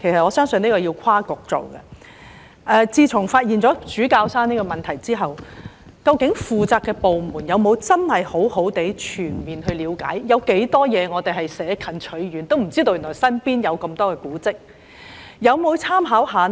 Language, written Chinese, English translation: Cantonese, 我想問局長，自從發現主教山配水庫後，究竟負責的部門有否認真作全面了解，究竟我們有多少古蹟是捨近取遠，不知道原來身邊就有這麼多古蹟的呢？, I believe interdepartmental efforts have to be made in order to deal with the place . I wish to ask the Secretary this question . Since the discovery of the service reservoir at Bishop Hill has the responsible department seriously and comprehensively looked into whether only distant monuments are discovered without knowing that many monuments are close to us?